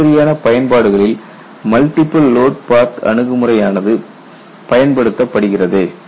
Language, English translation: Tamil, So, that is what this multiple load path approach is all about